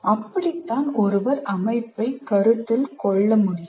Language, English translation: Tamil, So that is how one can consider the system